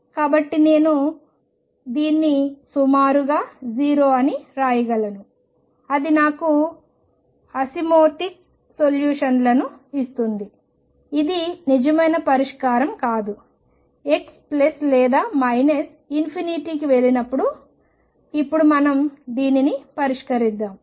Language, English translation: Telugu, So, I can approximately write this as 0 that will give me the asymptotic solutions it is not the true solution just the solution when x goes to plus or minus infinity now let us solve this